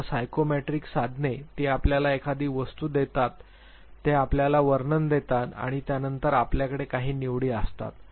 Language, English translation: Marathi, Now psychometric tools it gives you an item, it gives you a description and then you have certain choices